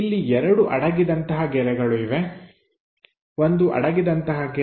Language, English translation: Kannada, Here two hidden lines there, one hidden line